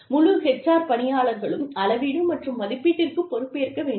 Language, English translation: Tamil, The entire HR staff, should have some responsibility, for measurement and evaluation